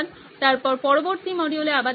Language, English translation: Bengali, See you in the next module then